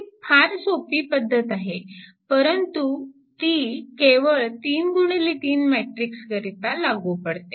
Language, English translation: Marathi, It is a very it is a very simple thing, but remember it is only true for 3 into 3 matrix